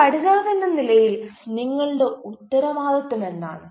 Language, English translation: Malayalam, as a learner, what is your responsibility to discharge